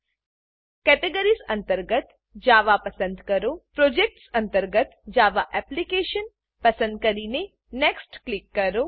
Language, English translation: Gujarati, Under Categories , select Java, under Projects select Java Application and click Next